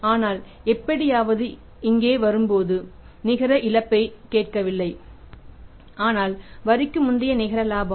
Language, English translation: Tamil, But somehow while coming down here we have not hear the net loss but the net profit before tax